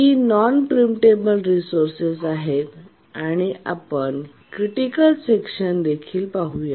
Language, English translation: Marathi, These are the non preemptible resources and also we'll look at the critical sections